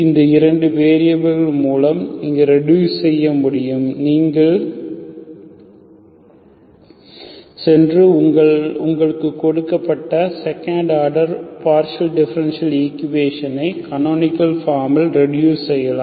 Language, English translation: Tamil, With those 2 variables you can reduce, you can go and reduce your given second order partial differential equation into canonical form